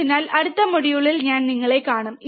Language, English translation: Malayalam, So, I will see you in next module